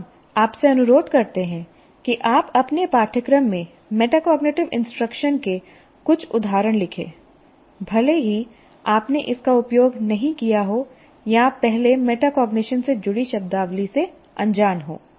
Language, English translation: Hindi, Now, what we request you is write a few instances of metacognitive instruction in your course even though you did not use or you are unaware of the terminology associated with metacognition earlier